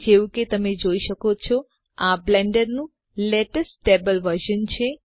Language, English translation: Gujarati, As you can see, this is the latest stable version of Blender